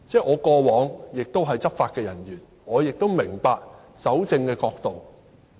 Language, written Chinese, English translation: Cantonese, 我過往曾是執法人員，我明白蒐證的角度。, Since I was once a law enforcement officer I understand the perspective on evidence collection